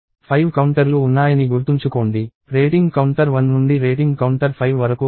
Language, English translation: Telugu, So, remember there are 5 counters; rating counter of one to the rating counters of 5